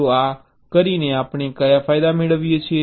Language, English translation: Gujarati, so by doing this, what are the advantage we gain